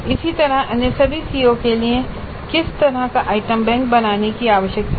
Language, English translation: Hindi, Similarly for all the other COs what kind of item bank needs to be created